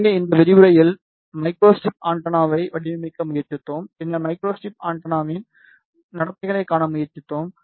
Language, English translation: Tamil, So, in this lecture, we tried to design micro strip antenna, then we tried to see the behavior of micro strip antenna